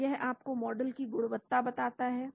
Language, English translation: Hindi, So it tells you the quality of the model